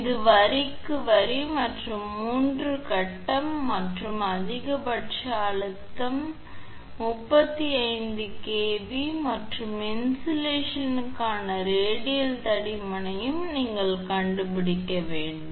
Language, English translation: Tamil, It is line to line and 3 phase and maximum stress is 35 kilo volt per centimeter and you have to find out also the radial thickness of insulation